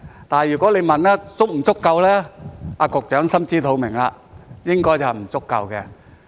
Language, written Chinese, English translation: Cantonese, 但是，如果你問足不足夠，局長也心知肚明，應該是不足夠的。, However if you ask whether it is sufficient the Secretary knows only too well that it is not